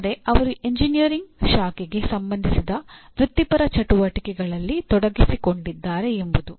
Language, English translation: Kannada, That means they are involved in professional activities related to that branch of engineering